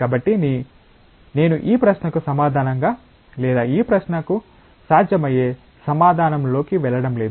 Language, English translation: Telugu, So, I am not going into the answer to this question or possible answer to this question